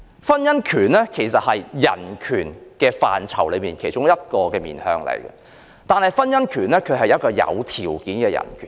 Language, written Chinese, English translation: Cantonese, 婚姻權是人權範疇的一個面向，但婚姻權是有條件的人權。, The right to marry is one aspect of human rights but I must add that the right to marry is a conditional human right